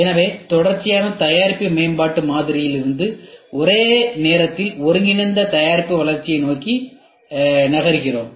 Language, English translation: Tamil, So, we are moving towards simultaneous integrated product development from sequential product development model